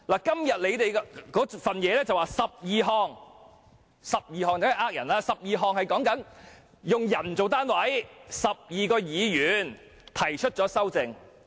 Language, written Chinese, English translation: Cantonese, 今天的文件指出有12項修訂，但這是騙人的，因為它以人數為單位，即有12名議員提出修訂。, As pointed out in the paper today there are 12 amendments . But this is deceptive because they are counted on an individual basis ie . there are 12 proposers